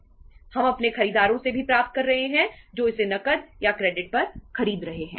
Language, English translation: Hindi, We are also receiving from our say buyers who are buying it on cash or credit